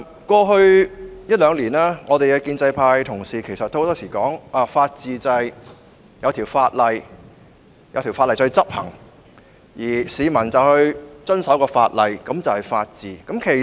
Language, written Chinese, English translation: Cantonese, 過去一兩年，建制派議員經常指出，根據法治原則，一項法案制定成法例後得以執行，而市民又遵守該法例，這便是法治。, As often noted by pro - establishment Members in the past year or two after a bill is passed into a law under the rule of law principle provided that members of the public abide by the law upon its implementation the rule of law will be upheld